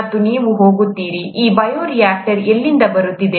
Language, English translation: Kannada, And you would go, ‘where is this bioreactor coming from’